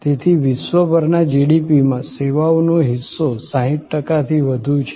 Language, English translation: Gujarati, So, services account for more than 60 percent of the GDP worldwide